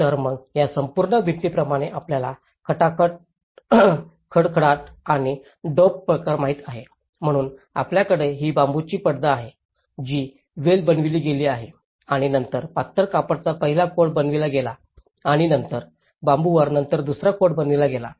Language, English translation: Marathi, So, then this whole wall like we know the rattle and daub sort of thing, so we have this bamboo screen, which has been weaven and then the first coat of slender has made and then the second coat of slender is made later on the bamboo screen